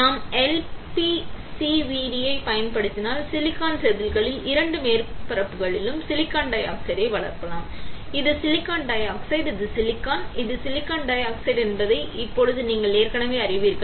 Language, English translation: Tamil, Now you already know that if we use LPCVD then we can grow silicon dioxide on both the surfaces of silicon wafer, this is silicon dioxide, this silicon, this is silicon dioxide